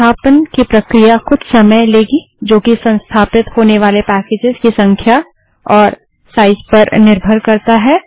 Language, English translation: Hindi, The process of installation takes some time depending on the number and size of the packages to be installed